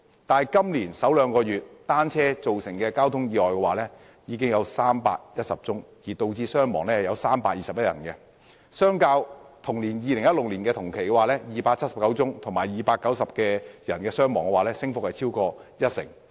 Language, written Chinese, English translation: Cantonese, 但今年首兩個月，單車釀成的交通意外已經有310宗，導致321人傷亡，相較2016年同期的279宗和290人傷亡，升幅超過一成。, But in the first two months this year 310 traffic accidents caused by bicycles were recorded causing 321 casualties up by more than 10 % from the 279 cases and 290 casualties recorded in the same period in 2016